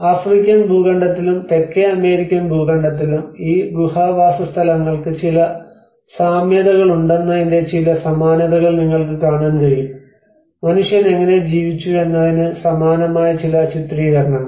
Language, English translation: Malayalam, \ \ And you can see some similarities of how these cave dwellings have some similarities in the African continent as well as in the South American continent, some kind of similar depictions of how man has lived